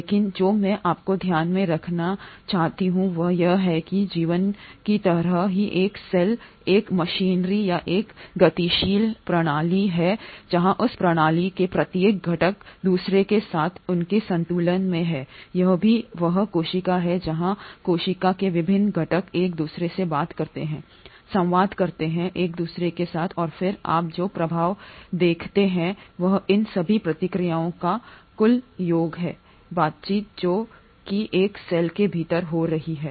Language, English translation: Hindi, But what I want you to bear in mind is that just like life a cell is a machinery or a dynamic system where each and every component of that system is in its equilibrium with the other also it is the cell where the various components of the cell talk to each other, communicate with each other and then the effect that you see is a sum total of all these reactions, all these interactions which are happening within a cell